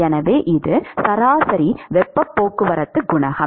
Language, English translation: Tamil, So, this is the average heat transport coefficient